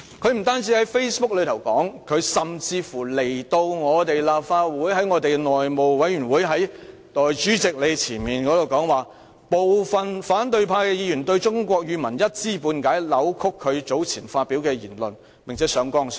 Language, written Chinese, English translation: Cantonese, 他不單在 Facebook 上作出有關言論，甚至在立法會內務委員會主席面前亦說道，部分反對派議員對中文一知半解，扭曲他早前發表的言論，並且上綱上線。, Not only did he write the above remarks on Facebook but he also said before the Chairman of the Legislative Council House Committee that certain opposition Members who only had a half - baked understanding of the Chinese language had distorted the meaning of his previous words and kept exaggerating the matter